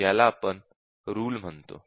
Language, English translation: Marathi, So, this we call as a rule